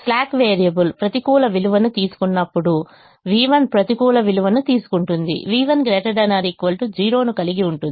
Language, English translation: Telugu, when a slack variable takes a negative value, v one takes a negative value, v has to be greater than or equal to zero